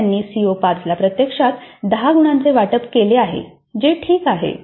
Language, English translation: Marathi, So the instructor has allocated actually 10 marks to CO5 that is perfectly alright